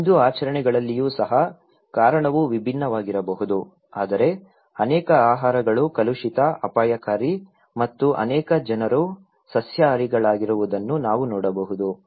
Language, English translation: Kannada, Even within the Hindu practices, the reason could be different but we can see that many foods are considered to be polluted, dangerous and many people are vegetarian